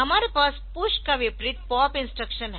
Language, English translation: Hindi, And we have just a reverse of push the pop instruction